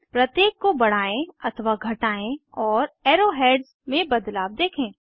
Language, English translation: Hindi, Increase or decrease each one and observe the changes in the arrow heads